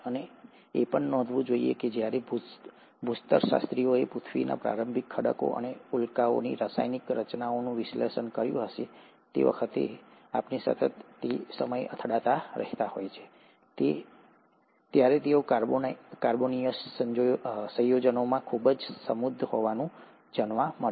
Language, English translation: Gujarati, And, it should also be noted that when geologists went on analyzing the chemical composition of the early rocks of earth and the meteorites, which continue to keep hitting us, they were found to be very rich in carbonaceous compounds